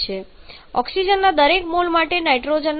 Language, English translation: Gujarati, So, with every a mole of oxygen 3